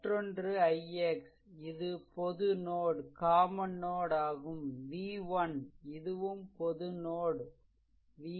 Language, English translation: Tamil, Another thing is i x this is a common node v 1 and this is your also common node v 3 right